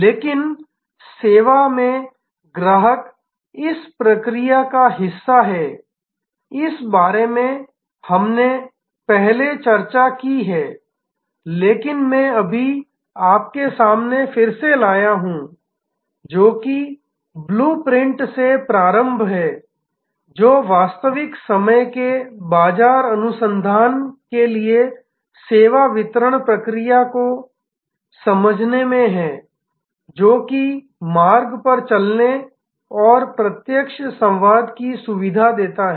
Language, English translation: Hindi, But, in service customer is part of the process, this we have discussed earlier, but I have just bringing it again in front of you that right from the blue printing, which is in understanding the service delivery process to real time market research, walk the path direct contact facilitates dialogue